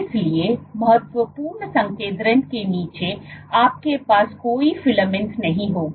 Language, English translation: Hindi, So, below of critical concentration you will not have any filaments